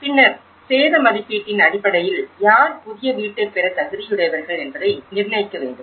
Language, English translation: Tamil, And then based upon the damage assessment, who will be eligible to get a new house